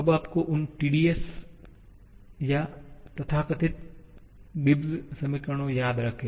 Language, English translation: Hindi, Do you remember those tedious relations or so called Gibbs equations